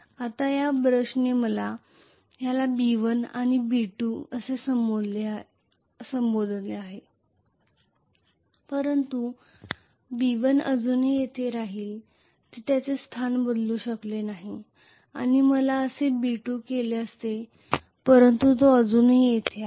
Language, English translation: Marathi, Now this brush let me call this as B1 and this as B2 but B1 would still remain here that would have not changed its position, and I would have had similarly B2 he is still remaining here